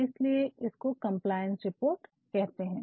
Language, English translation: Hindi, So, hence this is called compliance reports